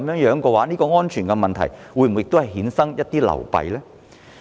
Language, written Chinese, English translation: Cantonese, 若然，在安全問題上會否衍生一些流弊呢？, If so would it give rise to some problems in terms of safety?